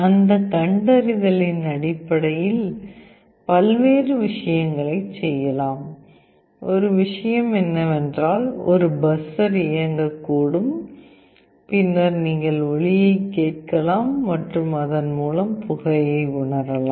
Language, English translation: Tamil, Based on that detection various things can be done; one thing is that a buzzer could be on, and then you can actually hear the sound and can make out